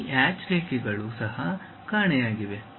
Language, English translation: Kannada, Those hatched lines are also missing